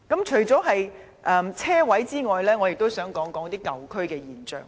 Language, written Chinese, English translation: Cantonese, 除了車位之外，我亦想說說舊區的現象。, Apart from parking spaces I would like to mention a phenomenon in the old districts